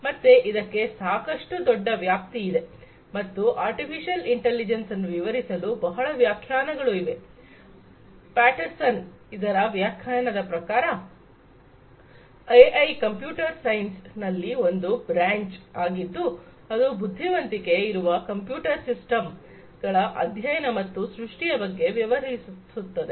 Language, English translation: Kannada, So, it is quite broadly scoped and there are multiple definitions to describe what artificial intelligence is, as per one of the definitions by Patterson; AI is a branch of computer science that deals with the study and the creation of computer systems that exhibit some form of intelligence